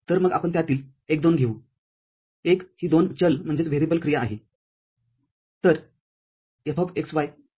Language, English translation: Marathi, So, let us take one two of them; one is a two variable function